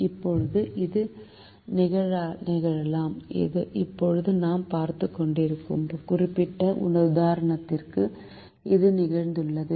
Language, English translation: Tamil, now this can happen, and this has happened to the particular example that we are right now looking at